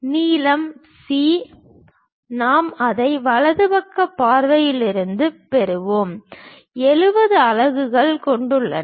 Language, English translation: Tamil, The length C we will get it from the right side view, 70 units which has been given